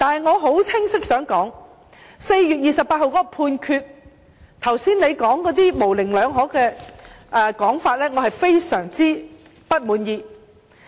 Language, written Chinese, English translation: Cantonese, 我想說清楚，有關4月28日的判決，對於局長剛才那些模棱兩可的說法，我感到非常不滿意。, I wish to make it clear that concerning the Judgment made on 28 April I am most unhappy with those ambiguous remarks made by the Secretary just now